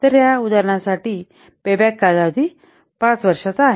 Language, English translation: Marathi, So, for this example, the payback period is year 5